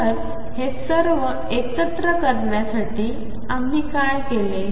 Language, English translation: Marathi, So, to collect all this together what have we done